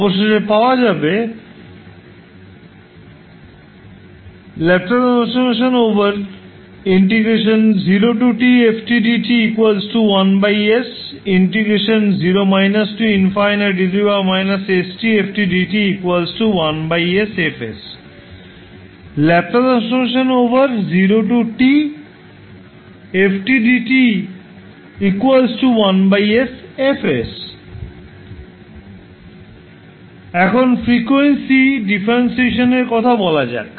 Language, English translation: Bengali, Now let’s talk about the frequency differentiation